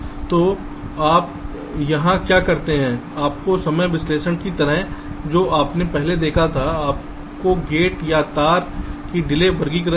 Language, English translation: Hindi, so what you do here is that, just like your timing analysis, whatever you had seen earlier, your gate or wide delays are pre characterized